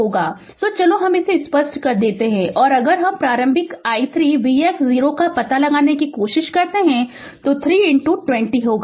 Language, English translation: Hindi, So, ah so let me clear it and if you try to find out the initial voltage v x 0 that will be your 3 into 20